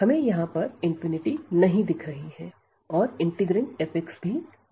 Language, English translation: Hindi, So, we do not see here infinity and also this f x, the integrand is also bounded